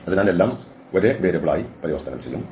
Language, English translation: Malayalam, So, then everything will be converted to 1 variable